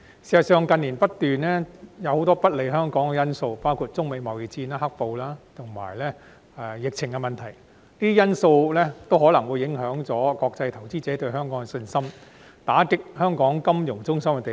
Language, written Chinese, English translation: Cantonese, 事實上，近年不斷出現很多不利香港的因素，包括中美貿易戰、"黑暴"及疫情等，全部均有可能影響國際投資者對香港的信心，打擊香港金融中心的地位。, As a matter of fact a number of factors unfavourable to Hong Kong have emerged in recent years such as the Sino - US trade war the black - clad violence and the outbreak of the epidemic and all these can potentially affect the confidence of international investors in Hong Kong thus undermining Hong Kongs status as a financial centre